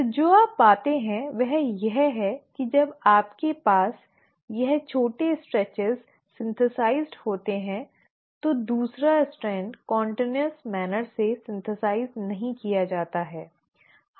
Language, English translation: Hindi, So what you find is that when you have this short stretches synthesised, the second strand is not getting synthesised in a continuous manner